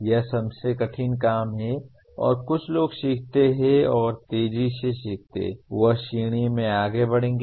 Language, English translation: Hindi, That is the one of the toughest things to do and some people learn and those who learn fast will move up in the ladder